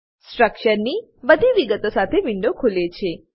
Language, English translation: Gujarati, A window opens with all the details of the structure